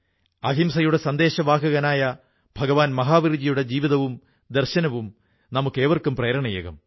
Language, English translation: Malayalam, The life and philosophy of Lord Mahavirji, the apostle of nonviolence will inspire us all